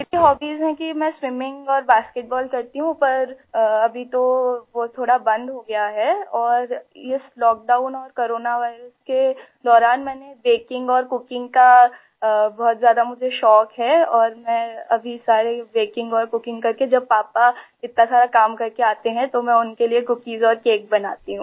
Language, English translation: Hindi, My hobbies are swimming and basketball but now that has stopped a bit and during this lockdown and corona virus I have become very fond of baking and cooking and I do all the baking and cooking for my dad so when he returns after doing so much work then I make cookies and cakes for him